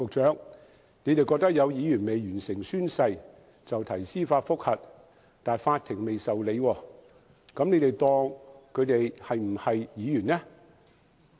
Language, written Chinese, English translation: Cantonese, 政府認為有議員未完成宣誓，提出司法覆核但法庭仍未受理，那政府是否視他們為議員？, The Government has applied for judicial reviews against Members whom it considers as having failed to finish their oaths but the court has not yet granted its leave . That being the case does the Government treat them as Members?